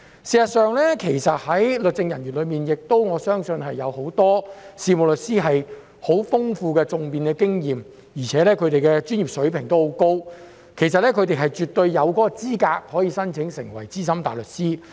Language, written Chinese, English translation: Cantonese, 事實上，在律政人員中，我相信很多事務律師也具有十分豐富的訟辯經驗，而且他們的專業水平亦很高，其實他們絕對有資格申請成為資深大律師。, As a matter of fact I believe that among the legal officers many solicitors have rich experience in advocacy and are of a very high professional standard . In fact they are absolutely qualified to become SC